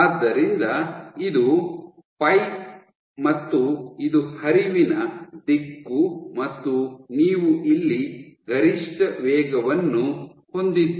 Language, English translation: Kannada, So, this is your pipe this is the direction of flow you have maximum velocity here